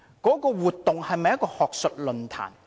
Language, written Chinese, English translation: Cantonese, 那項活動是否一場學術論壇？, Was that event an academic forum?